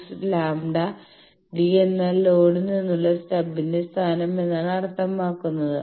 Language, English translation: Malayalam, 26 lambda, d means the position of the stub from the load